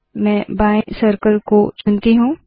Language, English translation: Hindi, Let me choose the left circle